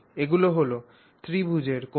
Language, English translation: Bengali, So, that's those are the angles of the triangle